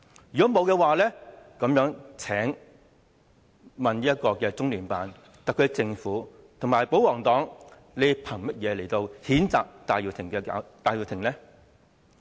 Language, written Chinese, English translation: Cantonese, 如果沒有的話，請問中聯辦、特區政府和保皇黨憑甚麼譴責戴耀廷呢？, If there is none I wish to ask LOCPG the SAR Government and the pro - Government Members on what grounds do they condemn Benny TAI?